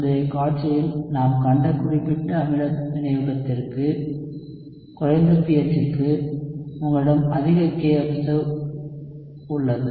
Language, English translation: Tamil, For specific acid catalysis we saw in the previous slide, that for lower pH, you have a higher kobserved